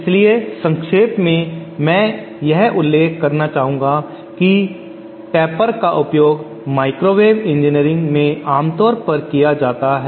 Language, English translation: Hindi, So in summary I would like to mention that tapers are in commonly used in microwave engineering